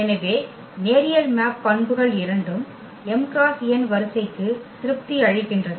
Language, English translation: Tamil, So, both the properties of the linear mapping satisfied for matrix for a matrix of order m cross n